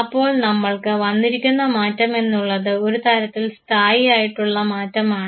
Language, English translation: Malayalam, So, the change that has come to us is a relatively stable change